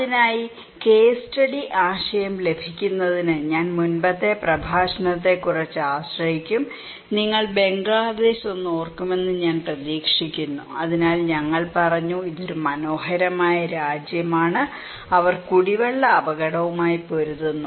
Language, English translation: Malayalam, For that, I would depend little on the previous lecture in order to get the case study idea, I hope you remember the Bangladesh one, so in Bangladesh we said that this is a beautiful country, they are battling with drinking water risk